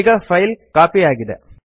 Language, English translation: Kannada, Now the file has been copied